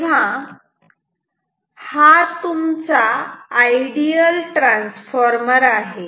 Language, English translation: Marathi, Now, this is an ideal transformer